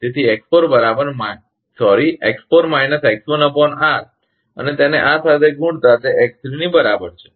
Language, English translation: Gujarati, So, X4 minus X1 upon R into this one is equal to X3